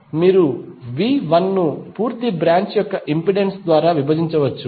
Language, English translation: Telugu, You can write V 1 divided by the impedance of the complete branch